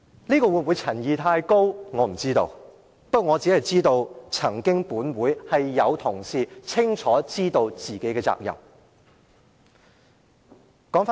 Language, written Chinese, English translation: Cantonese, 不過，我知道本會曾經有同事，清楚知道自己有何責任。, Nevertheless it occurs to me that there are colleagues in this Council who once understood clearly what responsibilities they should take